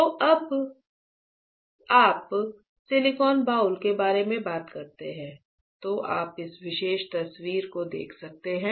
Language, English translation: Hindi, So, when you talk about silicon boule right, you can see this particular picture and looking at this picture